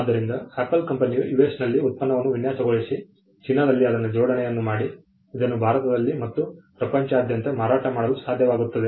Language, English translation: Kannada, So, Apple is able to design the product in US; assemble it in China; sell it in India and across the world